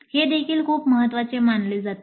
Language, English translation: Marathi, This also considered as very important